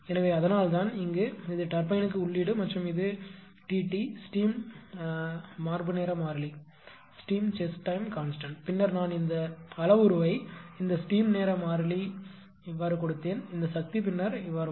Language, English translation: Tamil, So, that is why ah that is why here that is why here it is the input to the turbine and this is T t the steam chest time constant, will call later I think I given this parameter this steam time constant this power will come later